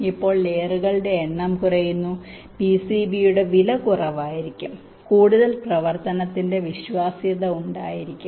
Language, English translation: Malayalam, now, less the number of layers, less will be the cost of the p c b, more will be the reliability of operation